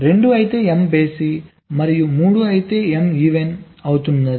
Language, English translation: Telugu, two if m is odd and three is m is even